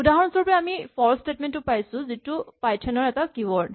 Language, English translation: Assamese, For instance, we have the statement for which is the keyword in python